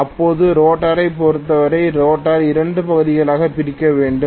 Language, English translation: Tamil, Now as far as rotor is concerned, the rotor has to be divided into 2 portions